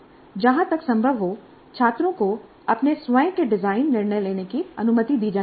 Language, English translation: Hindi, To the extent possible, students must be allowed to make their own design decisions, their own design decisions